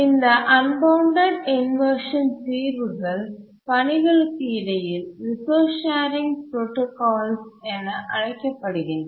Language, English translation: Tamil, The solutions to the unbounded priority inversion are called as protocols for resource sharing among tasks